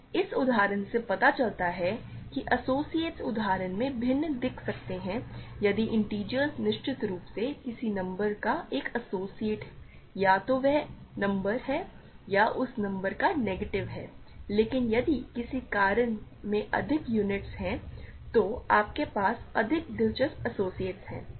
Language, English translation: Hindi, So, this examples shows that associates may look different in the familiar example if integers of course, an associate of a number is either that number or the negative of a that of that number, but if a ring has more units you have more interesting associates